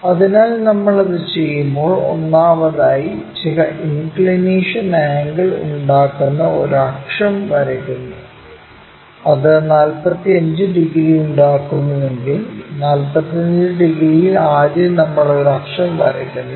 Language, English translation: Malayalam, So, when we do that, first of all we draw an axis making certain inclination angle maybe if it is making 45 degrees, at 45 degrees first we draw an axis